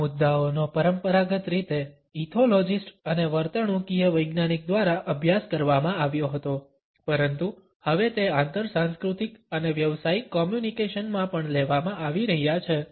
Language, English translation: Gujarati, These issues were traditionally studied by ethnologist and behavioral scientist, but they are now being taken up in intercultural and business communications also